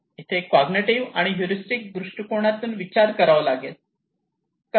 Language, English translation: Marathi, Here is the thought from cognitive and heuristic perspective